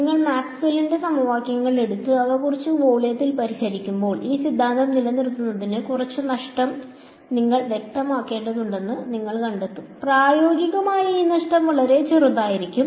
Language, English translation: Malayalam, When you take Maxwell’s equations and solve them over some volume, you will find that you need to specify some tiny amount of loss for this theorem to hold to, practically this loss can be really really small